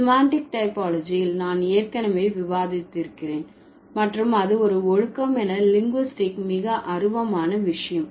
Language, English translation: Tamil, So, semantic typology I have already discussed and it's the most abstract thing in linguistics as a discipline